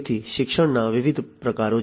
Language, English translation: Gujarati, So, there are different types of learning